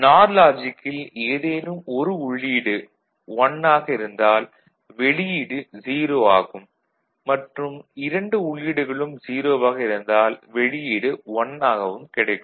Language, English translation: Tamil, So, NOR logic any of the input is 1 output is 0 right and when both the input are 0, output is 1 right